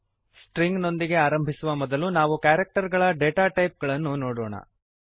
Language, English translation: Kannada, Before starting with Strings, we will first see the character data type